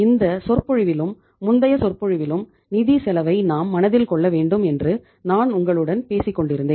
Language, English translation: Tamil, I have been talking to you in this lecture as well as in the previous lectures also that we have to keep the cost of funds in mind